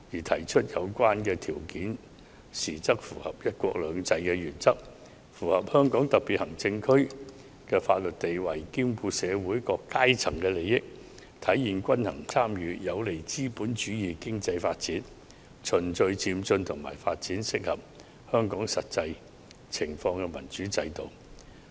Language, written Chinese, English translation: Cantonese, 提出有關條件時，應符合"一國兩制"原則及香港特別行政區的法律地位、兼顧社會各階層的利益、體現均衡參與，以及有利資本主義經濟發展，循序漸進地發展適合香港實際情況的民主制度。, When creating these conditions we should act in accordance with the principle of one country two systems and the legal status of the Hong Kong Special Administrative Region take into account the interests of the different sectors of society realize the principle of balanced participation and facilitate the development of the capitalist economy to gradually develop a democratic system which can fit in the actual situation of Hong Kong . Constitutional reform should not remain standstill